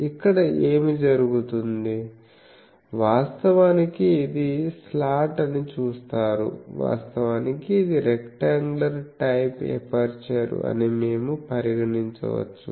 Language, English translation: Telugu, And so here what happens actually you see this is a slot, actually we can consider this is a rectangular type of aperture